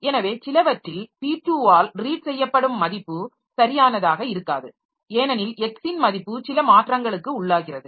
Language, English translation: Tamil, So, it is in some the value that is read by p2 may not be a correct one as the value x was undergoing some changes